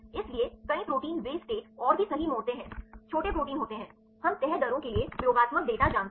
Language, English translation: Hindi, So, several proteins they fold perfect to state and also; there is small proteins, we know the experimental data for the folding rates